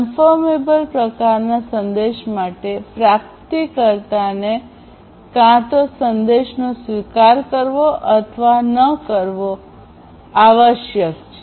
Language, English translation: Gujarati, For confirmable type message, the recipient must exactly explicitly either acknowledge or reject the message